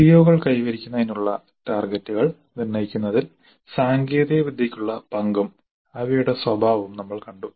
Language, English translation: Malayalam, We have seen the nature and role of technology in setting targets for attainment of COs that we completed